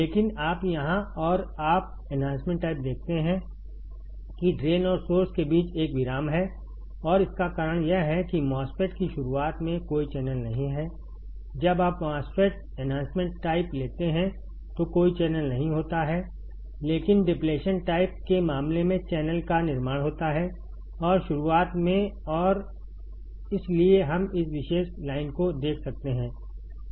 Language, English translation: Hindi, But you here and you see enhancement type there is a break between the drain and source and the reason is that there is no channel at the starting of the MOSFET; when you take a MOSFET enhancement type there is no channel, but in case of depletion type there is a formation of channel and in the starting and that’s why we can see this particular line